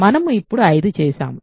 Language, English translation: Telugu, So, we have done 5 now